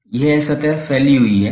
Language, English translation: Hindi, So, that is extending for the surface